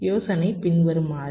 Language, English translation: Tamil, see, the idea is as follows